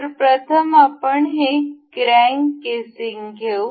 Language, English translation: Marathi, So, first of all we will take this crank casing